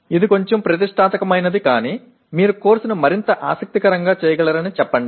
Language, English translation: Telugu, It is a bit ambitious but let us say you can make the course more interesting